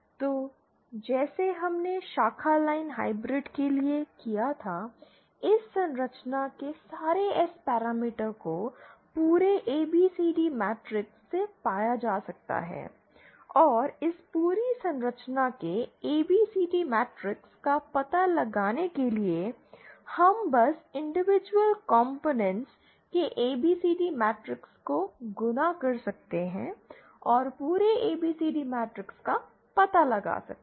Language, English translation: Hindi, So just like we did for the branch line hybrid, the overall S parameter of this structure can be found from the overall ABCD matrix and to find out the ABCD matrix of this whole structure, we can simply multiply the ABCD matrices of the individual components and find out the overall ABC the matrix